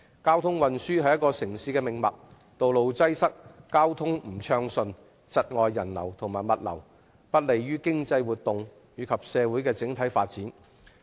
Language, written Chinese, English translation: Cantonese, 交通運輸是城市的命脈，如果道路擠塞和交通不暢順，將會窒礙人流和物流，而且對經濟活動和社會整體的發展不利。, Traffic and transport is the lifeline of a city . If roads are congested and traffic is not smooth the flow of people and goods will be stifled . Moreover it is not conducive to economic activities and the development of society as a whole